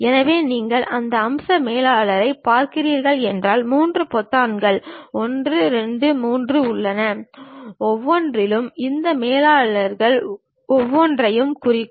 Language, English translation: Tamil, So, if you are looking at that feature manager there are 3 buttons, 1, 2, and 3, each one represents each of these managers